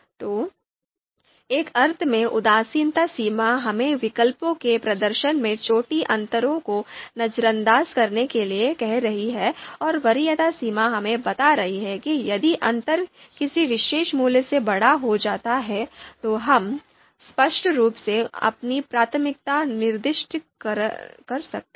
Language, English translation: Hindi, So indifference threshold in in a sense is telling us to ignore small differences in the performances of alternatives and preference threshold is telling us you know if the difference goes bigger than a particular value, then we clearly specify the you know our preference